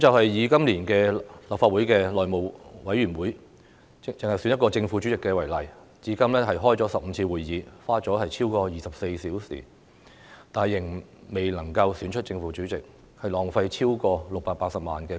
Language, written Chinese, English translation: Cantonese, 以今年立法會內務委員會選舉正副主席事件為例，至今已舉行15次會議，花了超過24小時，仍未能選出正副主席，浪費公帑超過680萬元。, Taking the election of the Chairman and the deputy Chairman of the House Committee of the Legislative Council as an example despite 15 meetings have been held so far spending more than 24 hours and wasting over 6.8 million of public money a chairman and a deputy chairman have yet to be elected